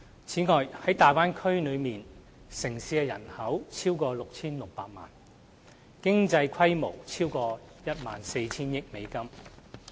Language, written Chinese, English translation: Cantonese, 此外，大灣區內的城市人口超過 6,600 萬人，經濟規模超過 14,000 億美元。, Further the Bay Area cities have a population of over 66 million and the size of their economies is over US1.4 trillion